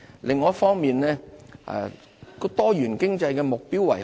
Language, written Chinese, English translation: Cantonese, 另一方面，多元經濟的目標為何？, On the other hand what are the objectives of economic diversification?